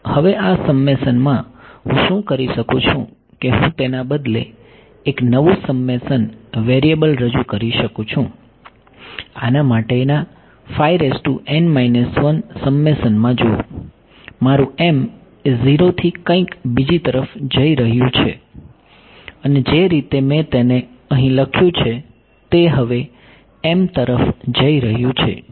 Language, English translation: Gujarati, Now, in this summation, what I can do is I can introduce a new summation variable instead of, see this in the summation for psi m minus 1, my m is going from 0 to something and the way that I have written it over here now m is going from 1 to something